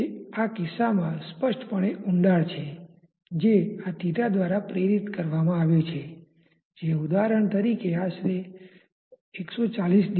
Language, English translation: Gujarati, And this h is clearly a depression in this case that has been induced by this theta which is roughly 140 degree as an example